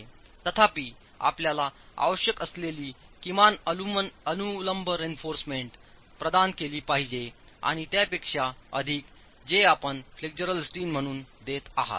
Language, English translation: Marathi, Nevertheless, the minimum vertical reinforcement that you require has to be provided over and above this steel that you are providing as flexual steel